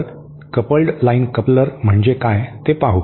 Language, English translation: Marathi, So, let us see what is a coupled line coupler